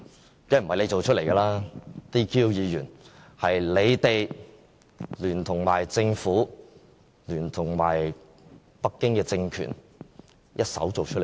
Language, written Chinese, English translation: Cantonese, 當然不是他們造出來的 ，"DQ" 議員是他們聯同政府和北京政權一手造出來的。, They are of course not the culprit . The disqualification of Members is essentially the joint work of the pro - Government camp the Government and the Beijing Authorities